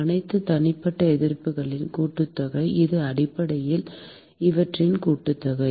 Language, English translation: Tamil, Sum of all the individual resistances, which is essentially sum of these